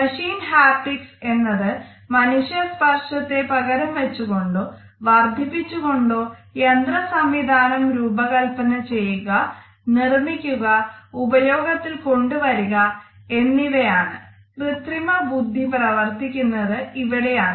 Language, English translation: Malayalam, Machine Haptics is the design construction and use of machines either to replace or to augment human touch, artificial intelligence is working in this direction